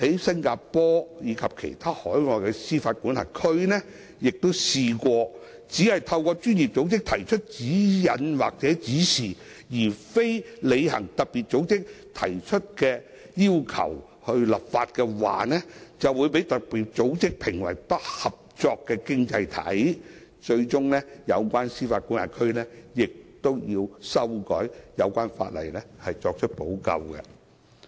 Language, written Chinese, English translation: Cantonese, 新加坡及其他海外司法管轄區亦曾試圖只以專業組織發出的指引作為參考，而未有立法履行特別組織的要求，其後卻被特別組織評為"不合作經濟體"，最終要透過修改有關法例作出補救。, Singapore and other overseas jurisdictions have also attempted to use the guidance issued by FATF for reference only . Given their failure to make legislation as requested by FATF they have subsequently been rated as an uncooperative economy by FATF . In the end they have to amend the relevant legislation as a remedy